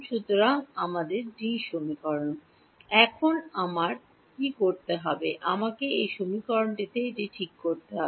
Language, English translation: Bengali, So, although D is there I have to try to work him out of this equation